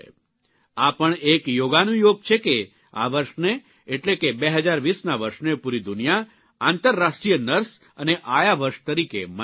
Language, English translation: Gujarati, It's a coincidence that the world is celebrating year 2020 as the International year of the Nurse and Midwife